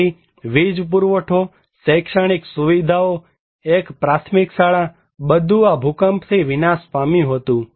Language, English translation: Gujarati, So, electricity supply, educational facilities, one primary school they all were devastated by this earthquake